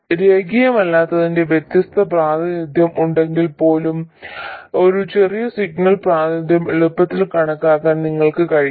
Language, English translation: Malayalam, Even if there is a different representation of the non linearity, you should be able to easily calculate the small signal representation